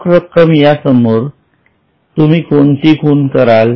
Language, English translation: Marathi, So, cash what will you mark it as